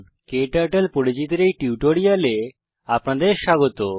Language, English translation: Bengali, Welcome to this tutorial on Introduction to KTurtle